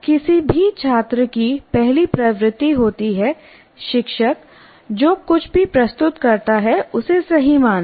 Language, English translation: Hindi, The first tendency of any student is whatever is presented by the teacher is right